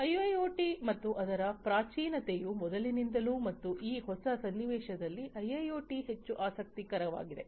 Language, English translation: Kannada, So, IIoT and its primitive have been there before as well and it is only in this new context that IIoT has become more interesting